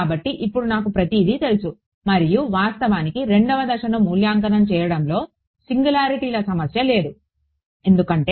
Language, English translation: Telugu, So, now, I know everything and in fact, in evaluating step 2, there is there is no problem of singularities because